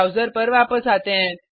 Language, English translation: Hindi, Come back to the browser